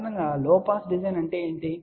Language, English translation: Telugu, Generally, what is a low pass design